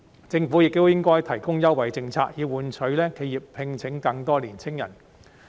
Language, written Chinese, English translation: Cantonese, 政府亦應該提供優惠政策，以換取企業聘請更多青年人。, The Government should also provide concessionary policies for enterprises in return for their recruitment of more young people